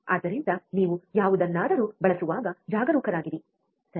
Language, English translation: Kannada, So, be cautious when you use anything, right